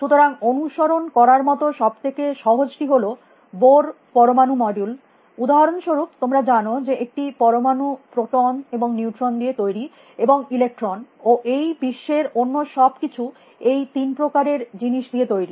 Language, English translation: Bengali, follow the bore atom module, for example; you know an atom is made up of protons and neutrons and electrons and everything else in the world is made of these three kind of things essentially